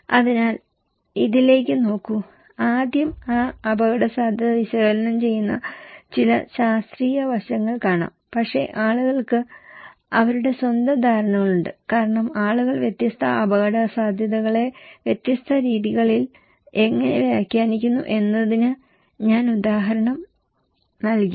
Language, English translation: Malayalam, So, look into this, that first maybe some scientific aspect doing that risk analysis part but people have their own perceptions as I gave the example that how people interpret different risk in different ways